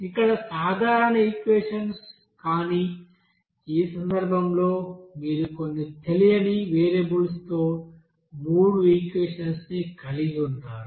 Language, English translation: Telugu, So here simple equations, but in this case, you are having set of three equations with some unknown variables